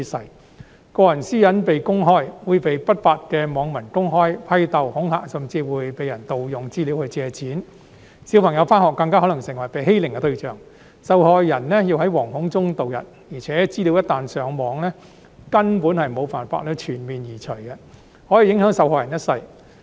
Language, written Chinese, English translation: Cantonese, 任何人一旦個人私隱被公開，會被不法的網民公開批鬥、恐嚇，甚至會被人盜用資料去借錢，小朋友上學時更可能成為欺凌對象，受害人要在惶恐中度日，而且資料一旦上網，根本無法全面移除，可以影響受害者一生。, To cap it all their children may become targets of bullying at school . The victims will have to live in fear . Moreover once the information is uploaded onto the Internet there is no way to remove it completely which may affect the victims for the rest of their lives